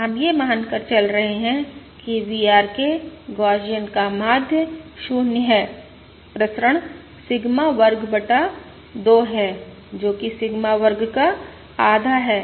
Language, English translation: Hindi, We are going to assume VRK is Gaussian, mean 0, variance Sigma square by 2, that is, half Sigma square